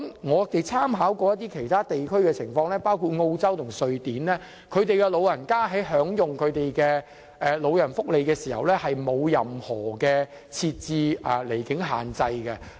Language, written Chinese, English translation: Cantonese, 我們參考了一些其他地區的情況，包括澳洲及瑞典，當地的長者在享用長者福利的時候並無受到任何離境限制。, We have made reference to the situations of other regions including Australia and Sweden where the elderly people are not subject to any absence limit when enjoying their elderly welfare benefits